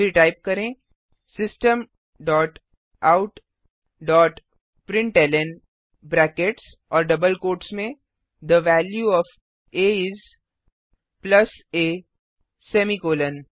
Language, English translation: Hindi, Then type System dot out dot println within brackets and double quotes The value of a is plus a semicolon